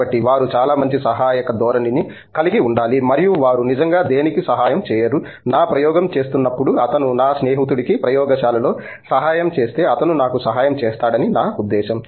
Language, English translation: Telugu, So that means, like they have to have a very good helping tendency and they are not really helping for nothing, I mean it is like when I am helping my friend in the lab he is going to help me when I am doing my experiment